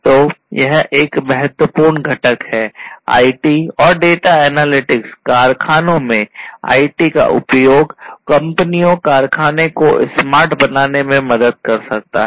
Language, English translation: Hindi, So, this is a very important component, IT, use of IT in the factories can help in making the companies the factory smart and also the data analytics